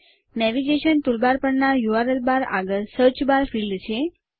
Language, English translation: Gujarati, Next to the URL bar on the navigation toolbar, there is a Search bar field